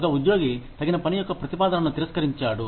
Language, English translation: Telugu, An employee, who refuses an offer of suitable work